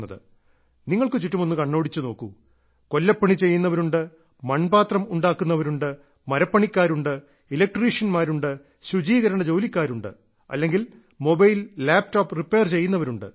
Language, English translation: Malayalam, Look around yourself; be it an ironsmith, a potter, a carpenter, an electrician, a house painter, a sanitation worker, or someone who repairs mobilelaptops